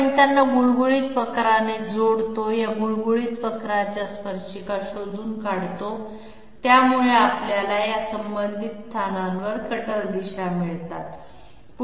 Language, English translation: Marathi, We join them by a smooth curve, we find out that tangents to this smooth curve hence we get the cutter directions at these respective locations